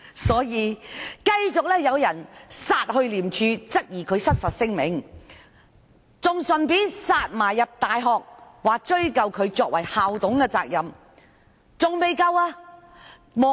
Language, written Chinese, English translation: Cantonese, 所以，繼續有人到廉政公署，質疑何議員發出失實聲明，更到大學追究其作為校董的言責。, Hence some people go to ICAC to report that Dr HO has made false declaration and some even go to a university to ask for an investigation into the accountability of his speech as he is a Council member of the university